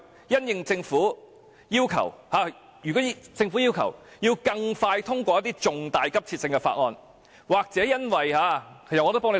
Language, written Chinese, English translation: Cantonese, 如果政府要求更快通過一些重大急切性的議案，或因為......, If the Government requests that certain important motions of great urgency be passed expeditiously or if I have thought up a good idea for the pro - establishment camp